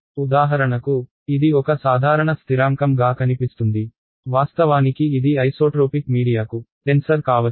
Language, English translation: Telugu, For example, this seems to be a simple constant; actually it could be a tensor for an isotropic media